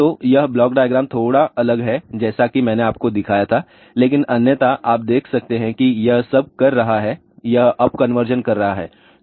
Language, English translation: Hindi, So, this is slightly different then the block diagram with I had shown you , but otherwise you can see that all it is doing it is it doing the up conversion